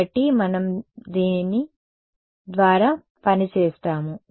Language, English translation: Telugu, So, we will just work through this